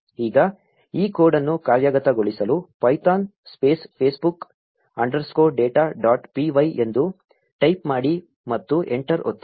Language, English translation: Kannada, Now to execute this code, type python space facebook underscore data dot p y and press enter